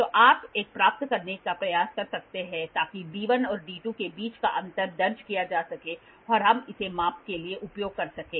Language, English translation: Hindi, So, you can try to get one, so that the difference between d1 and d2 is recorded and we can use it for measurement